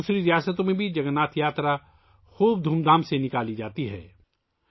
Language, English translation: Urdu, In other states too, Jagannath Yatras are taken out with great gaiety and fervour